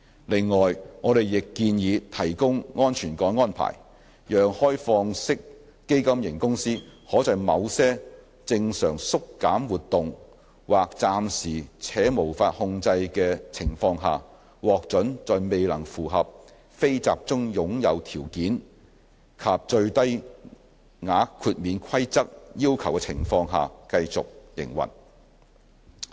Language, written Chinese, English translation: Cantonese, 另外，我們亦建議提供安全港安排，讓開放式基金型公司可在某些正常縮減活動或暫時且無法控制的情況下，獲准在未能符合"非集中擁有"條件及最低額豁免規則要求的情況下繼續營運。, We also propose the introduction of safe harbour rules under which an OFC may under certain normal winding down activities or temporary and out - of - control circumstances continue to operate even when it fails to meet the non - closely held conditions and the de minimis limit